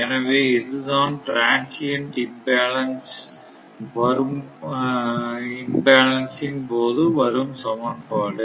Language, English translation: Tamil, So, this is the equation during transient imbalance